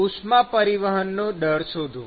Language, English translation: Gujarati, To find the heat transfer rate